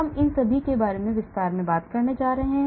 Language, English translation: Hindi, we are going to talk more about all these in detail